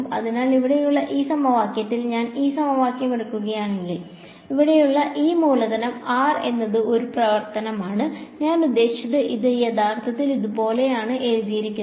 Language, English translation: Malayalam, So, in this equation over here if I take this equation, this capital R over here is a function of; I mean this is actually written like this right